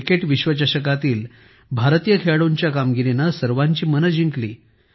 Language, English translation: Marathi, Indian players won everyone's heart with their performance in the Cricket World Cup